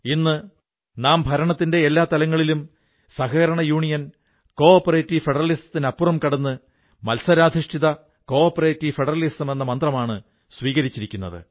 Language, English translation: Malayalam, Today, we have adopted in all aspects of governance the mantra of cooperative federalism and going a step further, we have adopted competitive cooperative federalism but most importantly, Dr